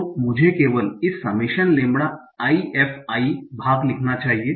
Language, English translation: Hindi, So let me write only the summation lambda i f i part